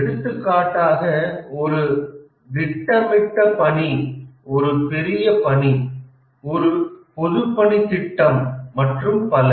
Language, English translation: Tamil, For example, find a planned undertaking, a large undertaking, for example, a public works scheme and so on